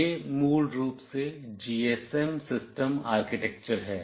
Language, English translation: Hindi, This is basically the GSM system architecture